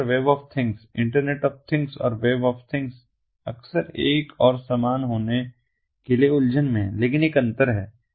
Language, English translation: Hindi, iot and web of things, internet of things and web of things are often confused to be the one and the same, but there is a distinction